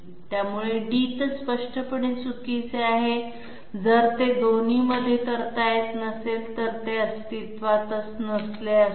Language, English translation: Marathi, So D is obviously wrong, if it cannot be performed in both it would not have existed